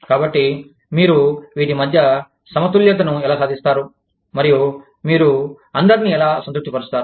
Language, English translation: Telugu, So, how do you strike a balance, between these, and how do you keep, everybody satisfied